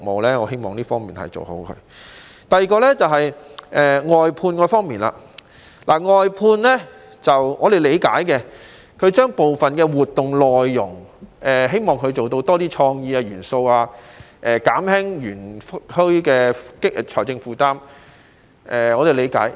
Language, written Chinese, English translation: Cantonese, 第二點是外判方面，園方將部分活動外判，希望能做到有多些創意元素，減輕園區的財政負擔，我們是理解的。, Another point is about outsourcing . We understand that the park will outsource some of the activities in the hope of getting more creative elements and reducing the financial burden of the park